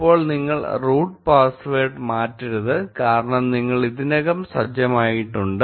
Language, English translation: Malayalam, Now, do not change the root password because you have already set it